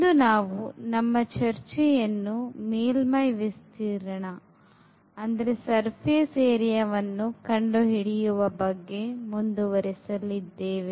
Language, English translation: Kannada, And today we will continue our discussion for computation of surface area